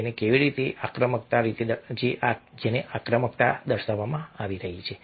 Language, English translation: Gujarati, and how is it that aggression is being displayed